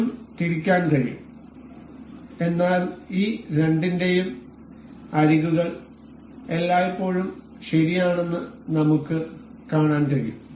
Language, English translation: Malayalam, This can also rotate, but we can see always that this the edges of these two are always fixed